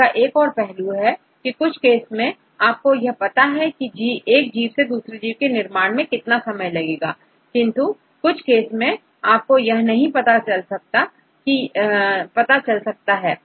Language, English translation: Hindi, And another aspect is, in some cases you know how long it takes for one organism to another organism, some cases we do not know